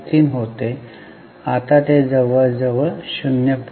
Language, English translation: Marathi, 33, now it is almost 0